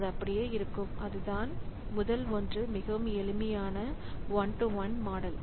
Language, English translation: Tamil, And the first one is the most simple one is the one to one model